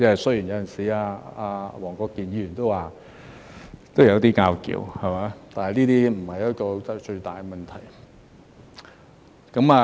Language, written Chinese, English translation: Cantonese, 雖然有時——黃國健議員也說過——都有一些爭拗，但是那不是最大的問題。, Although sometimes―as Mr WONG Kwok - kin said―there have been some arguments between us it is not really too big of a problem